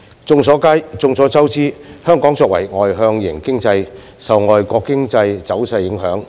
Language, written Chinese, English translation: Cantonese, 眾所周知，香港作為外向型經濟，受外國經濟走勢影響。, As everyone knows Hong Kong as an externally oriented economy is under the influence of foreign economic trend